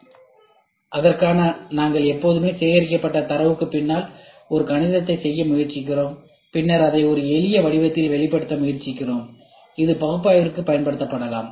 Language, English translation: Tamil, So, for that we always try to do a math behind the data whatever is collected and then we try to express it into a simpler form such that this can be used for analysis